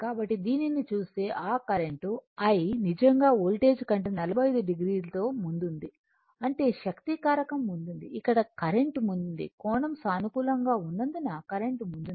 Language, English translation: Telugu, So, if you look into that that current I actually leading the voltage by 45 degree right; that means, power factor is leading current here is leading current is leading because the angle is positive right